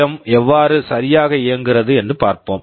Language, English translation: Tamil, Now, let us see how exactly PWM works